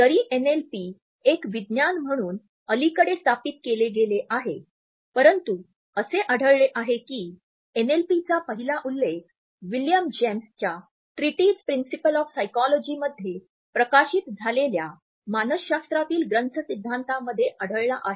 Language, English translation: Marathi, Though NLP as a science has been established relatively recently, we find that the first indications of NLP are found in William James treatise Principles of Psychology which was published in 1890